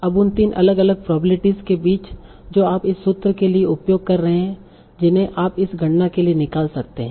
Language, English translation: Hindi, Now among the three different probabilities that you are using for this formula, which one you might remove for this computation